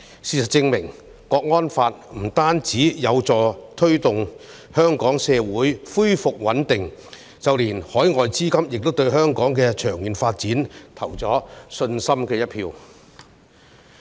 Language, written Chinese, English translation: Cantonese, 事實證明《香港國安法》不僅有助香港社會恢復穩定，更令海外資金對香港的長遠發展有信心。, All such facts serve to prove that the National Security Law has not only restored social stability but also given overseas capital confidence in the long - term development of Hong Kong